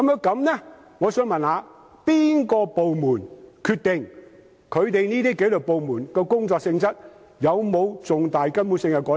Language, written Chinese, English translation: Cantonese, 那麼，我想問由哪個部門決定紀律部門的工作性質有否重大、根本性的改變？, If that is the case I would like to ask which department should decide whether there are significant and fundamental changes in the job nature of the disciplined services